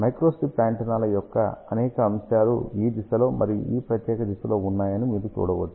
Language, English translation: Telugu, You can see that there are several elements of microstrip antennas are there in this direction as well as in this particular direction